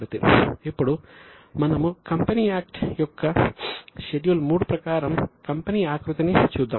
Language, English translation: Telugu, Now, let us look at the Company Act format as per the Schedule 3 of Company Act